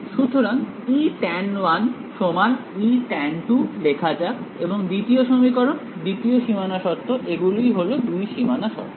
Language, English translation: Bengali, So, E tan1 is equal to E tan 2 let us write it and the second equation, second boundary condition is these are the two boundary conditions